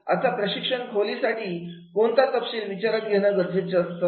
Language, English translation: Marathi, Now, what details are to be considered in the training room